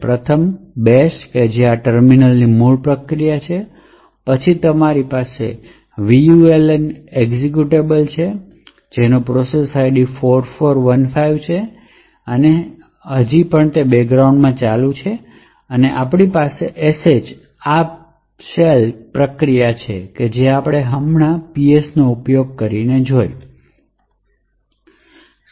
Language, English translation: Gujarati, First, is the bash which is the original process comprising of this particular terminal, then you have the vuln executable, which has a process ID 4415 and it is still running in the background, we have sh and of course this particular process PS which we have just used